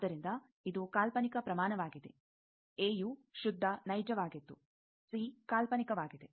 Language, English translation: Kannada, So, this is an imaginary quantity A was pure real C is imaginary